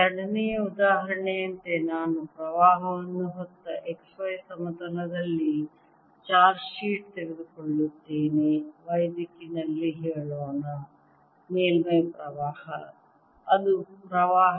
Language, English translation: Kannada, as a second example, i will take a heat of charge in the x y plain carrying a current, let's say in the y direction, surface current